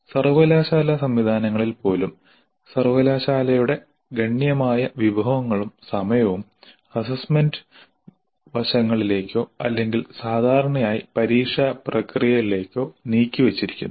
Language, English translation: Malayalam, Even in the university systems, considerable resources and time of the university are devoted only to the assessment aspects or typically the examination processes